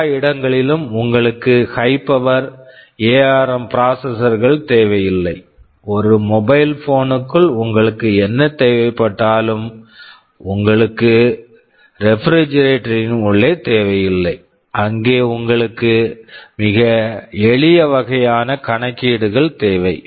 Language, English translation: Tamil, YSo, you do not need very high power ARM processors everywhere, whatever you need inside a mobile phone you will not need possibly inside a refrigerator, you need very simple kind of calculations there right